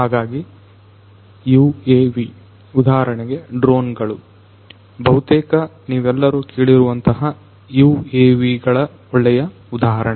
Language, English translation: Kannada, So, you UAVs; drones for example, which most of you have heard of are good examples of UAVs